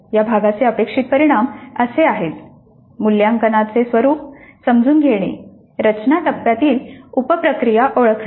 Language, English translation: Marathi, The outcomes for this unit are understand the nature of assessment, identify the sub processes of design phase